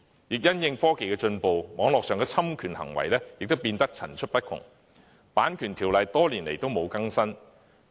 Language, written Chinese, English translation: Cantonese, 而且，隨着科技進步，網絡上的侵權行為亦變得層出不窮，《版權條例》多年來卻未有更新。, Also while advancement in technology has bred numerous cases of cyber infringement of rights the Copyright Ordinance has remained out - dated for years